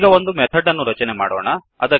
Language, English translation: Kannada, Now let us create a method